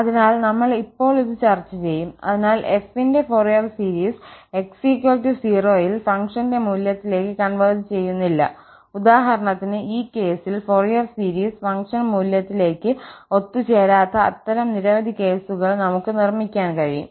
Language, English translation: Malayalam, So, we will discuss this now, so, Fourier series of f does not converge to the value of the function at x equal to 0, for instance, in this case, and we can construct many more such cases where the Fourier series will not converge to the function value